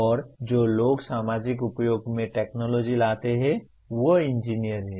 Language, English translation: Hindi, And the persons who bring technology into societal use are engineers